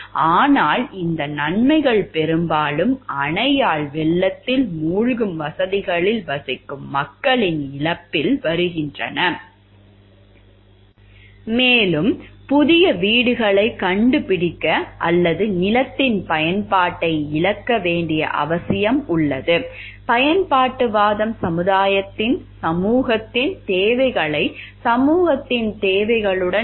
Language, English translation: Tamil, But these benefits often come at the expense of people who live in areas that will be flooded by the dam and it required to find new homes or lose the use of the land, utilitarianism tries to balance the needs of the society with the needs of the individual